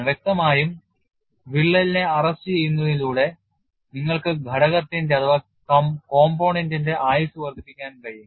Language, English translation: Malayalam, Obviously, by arresting the crack, you would be able to enhance the life of the component